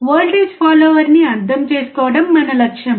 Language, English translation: Telugu, That is the goal of understanding voltage follower